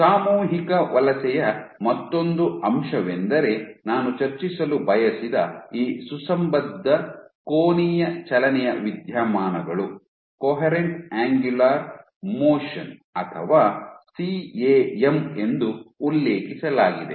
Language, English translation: Kannada, One another aspect of collective migration that I wanted to discuss which is this phenomena of coherent angular motion or refer to as CAM